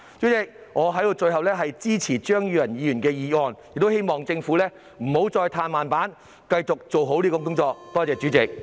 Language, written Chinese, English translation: Cantonese, 代理主席，最後，我支持張宇人議員的議案，亦希望政府不要再"嘆慢板"，必須繼續做好這項工作。, Deputy President lastly I support Mr Tommy CHEUNGs motion . I also hope that the Government will no longer adopt a laid - back attitude and it must continue to do a good job in this respect